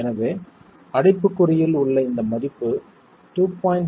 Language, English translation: Tamil, 3 in the bracket that you see there, 2